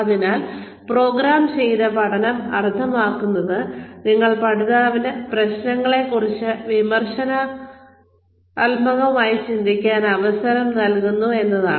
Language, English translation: Malayalam, So, programmed learning means that you are giving the learner a chance to think critically, about the issue at hand